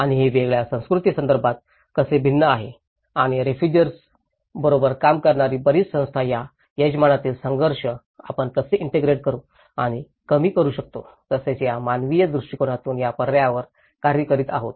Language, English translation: Marathi, And how it differs in different cultural context and a lot of organizations working with the refugees are working on this option of how we can better integrate and reduce the conflicts in the host and as well as from the humanitarian point of it